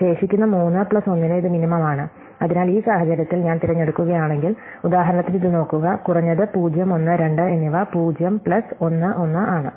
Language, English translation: Malayalam, So, it is minimum to the remaining three plus 1, so in this case if I pick, look at this for example, the minimum of 0, 1 and 2 is 0 plus 1 is 1